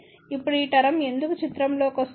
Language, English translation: Telugu, Now, why this term comes into picture